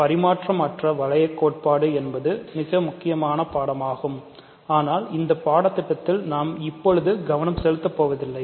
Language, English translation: Tamil, So, the non commutative ring theory is an important subject that is one studies people study, but it is not the focus for us in this course